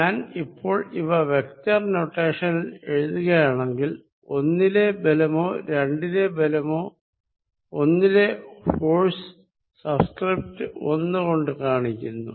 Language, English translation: Malayalam, Now, if I am writing it in the vector notation I have to denote force on 1 or force on 2, let us write the force on 1 which I denote here by this subscript 1 here